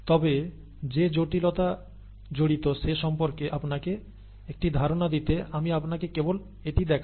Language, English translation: Bengali, But, to give you an idea of the complexity that is involved let me just show you this